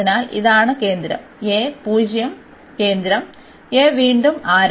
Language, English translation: Malayalam, So, this is the center a and 0 is the center and a is the radius again